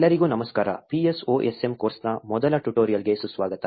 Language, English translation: Kannada, Hi everyone, welcome to the first tutorial for the PSOSM course